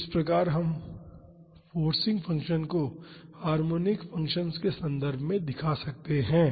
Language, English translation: Hindi, So, this is how we can represent the forcing function in terms of harmonic functions